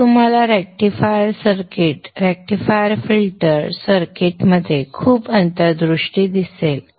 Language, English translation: Marathi, So this would give you a lot of insight into the rectifier circuit, rectifier filter circuit in cell